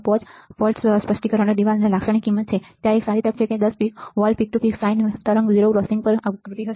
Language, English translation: Gujarati, 5 volts specification right in the datasheet there is a good chance that 10 volts peak to peak sine wave will have a distortion at 0 crossings